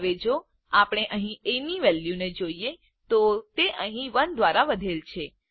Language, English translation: Gujarati, Now if we see the value of a here, it has been incremented by 1